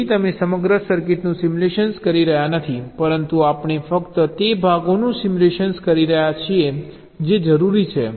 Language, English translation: Gujarati, right, so you are not simulating the whole circuit, but we are simulating only those parts which are required